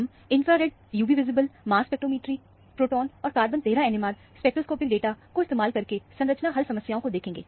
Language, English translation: Hindi, We will look at the structure solving problems using infrared, UV visible, mass spectrometry, proton and carbon 13 NMR spectroscopic data